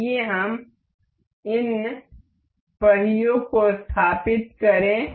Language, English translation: Hindi, Let us just let us just set up these wheels